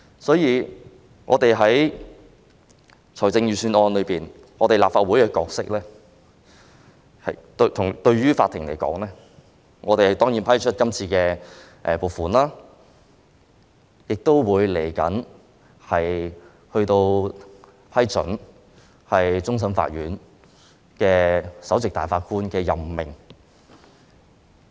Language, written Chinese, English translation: Cantonese, 對司法機構而言，我們立法會的角色是審批預算案中提出的撥款要求，以及稍後批准終審法院首席大法官的任命。, From the Judiciarys point of view the role of the Legislative Council is to examine the funding proposal in the Budget and to approve the appointment of the Chief Justice of the Court of Final Appeal later on